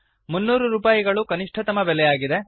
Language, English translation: Kannada, The minimum cost is rupees 300